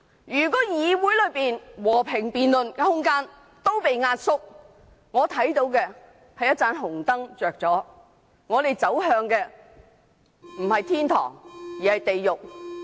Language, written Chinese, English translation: Cantonese, 如果議會內和平辯論的空間被壓縮，我看到紅燈亮起，我們不是走向天堂而是地獄。, If the room for peaceful debate in the legislature is compressed I will see red lights being turned on and we will be heading for hell instead of heaven